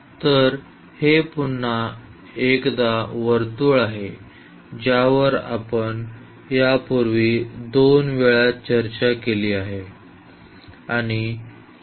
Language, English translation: Marathi, So, this is again the circle which we have discussed a couple of times before